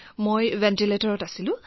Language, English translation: Assamese, I was on the ventilator